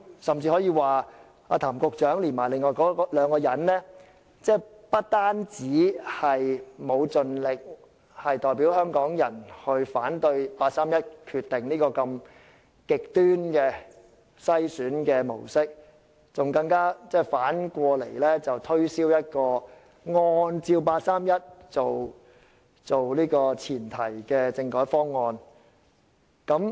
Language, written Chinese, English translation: Cantonese, 甚至可以說，譚局長和另外兩人不單沒有盡力代表香港人反對八三一決定這種如此極端的篩選模式，還要反過來推銷一個以八三一決定為前提的政改方案。, We can even say that rather than vigorously opposing the very harsh screening method under the 31 August Decision on behalf of Hong Kong people Secretary Raymond TAM and the rest of the two even attempted to hard - sell a package of constitutional reform proposals based on the 31 August Decision